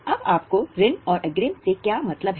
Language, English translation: Hindi, Now what do you mean by loans and advances